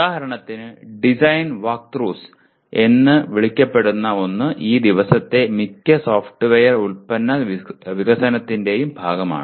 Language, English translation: Malayalam, For example something called design walkthroughs is a part of most of the software product development these days